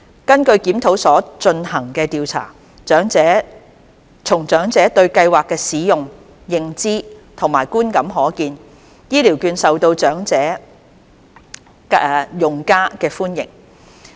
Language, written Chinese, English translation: Cantonese, 根據檢討所進行的調查，從長者對計劃的使用、認知和觀感可見，醫療券受到長者用家的歡迎。, According to a survey conducted under the review the vouchers had been well received by the elderly users as seen from their utilization awareness and attitude towards the Scheme